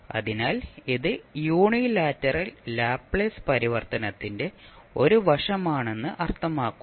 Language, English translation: Malayalam, So that means that it is one sided that is unilateral Laplace transform